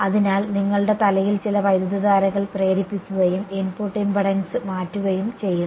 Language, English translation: Malayalam, So, inducing some currents on your head and changing the input impedance right